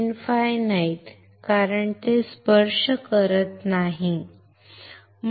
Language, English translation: Marathi, Infinite because it is not touching, right